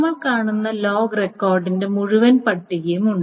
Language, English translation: Malayalam, Okay, there is an entire list of log record that we see